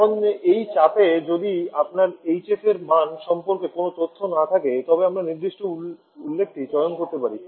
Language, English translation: Bengali, Now if you do not have any information about the value of hf at this pressure then we can choose certain reference